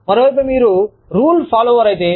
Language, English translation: Telugu, On the other hand, if you are a rule follower